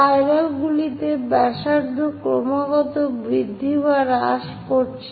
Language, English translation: Bengali, In spirals, the radius is continuously increasing or decreasing